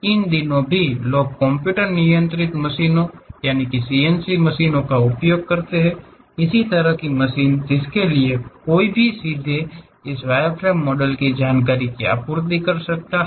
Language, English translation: Hindi, Even these days people use computer controlled machines, CNC machines; this kind of machines for which one can straight away supply this wire models information